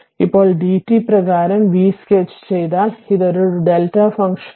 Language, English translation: Malayalam, And now if you sketch del your d v by d t, so it is a delta function